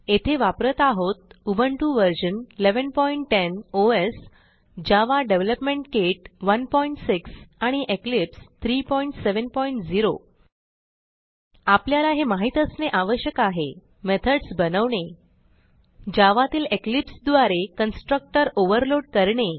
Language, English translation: Marathi, Here we are using Ubuntu version 11.10 OS Java Development kit 1.6 And Eclipse 3.7.0 To follow this tutorial you must know how to create methods and To overload constructor in java using eclipse